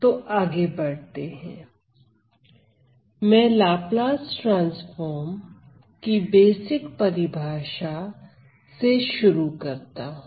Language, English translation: Hindi, So, let me just start with the basic definition of Laplace transform